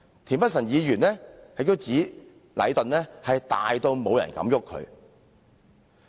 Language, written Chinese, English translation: Cantonese, 田北辰議員亦指禮頓"大到冇人敢郁佢"。, Mr Michael TIEN also said that Leighton was such a big company that no one dared to find fault with it